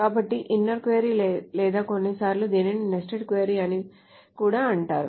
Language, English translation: Telugu, So, inner query or sometimes it is also called the nested query